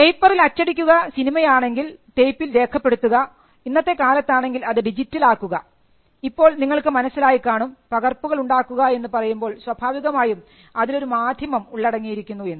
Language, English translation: Malayalam, So, print the medium in paper if it is film it is recorded on tapes or now it is digital, so you will understand that whenever we are talking about making copies it implies a medium being there